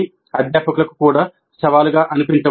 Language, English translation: Telugu, So this also may look challenging to the faculty